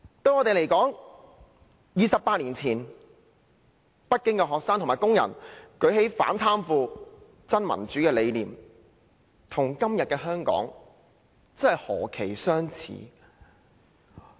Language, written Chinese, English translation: Cantonese, 對我們而言 ，28 年前，北京的學生和工人舉起反貪腐、真民主的理念，與今日的香港何其相似？, For us the movement in which students and workers protested against corruption and aspired for true democracy 28 years ago in Beijing bears a close resemblance to the current situation in Hong Kong